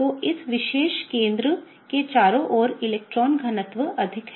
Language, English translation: Hindi, So, there is a lot of electron density around this particular center